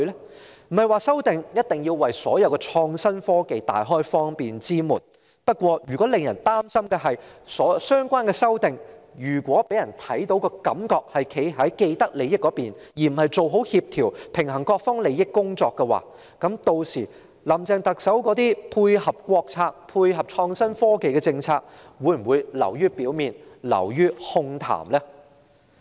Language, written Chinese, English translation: Cantonese, 我們並非指法例修訂必然要為所有創新科技大開方便之門，但如果相關修訂給人的感覺是站在既得利益者的一方，而非做好協調和平衡各方利益的工作，屆時，特首林鄭月娥提出配合國策和創新科技的政策，會否只是流於表面和空談呢？, We are not saying that amendments to laws must open all the gates to all development in innovation and technology . Yet if the amendments give people the impression that the Government is siding with people with vested interests rather than making an effort to coordinate and balance the interests of various sides are Chief Executive Carrie LAMs proposed initiatives to tie in with the State policies and innovation and technology superficial and empty talk?